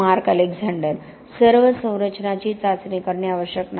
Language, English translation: Marathi, Mark Alexander: Not all structures need to be tested